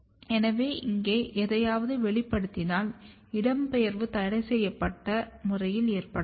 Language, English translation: Tamil, So, if you express something here, the migration can occur in a restricted manner